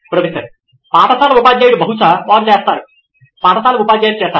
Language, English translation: Telugu, School teacher probably they do, school teachers they do